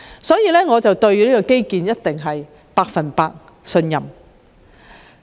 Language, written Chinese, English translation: Cantonese, 所以，我對中國的基建實力肯定是百分百信任。, I therefore definitely have full confidence in Chinas strength in undertaking infrastructural projects